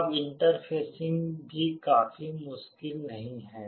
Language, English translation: Hindi, Now, interfacing is also not quite difficult